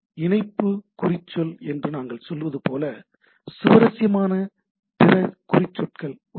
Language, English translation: Tamil, There are other tags which are interesting what we say link tag right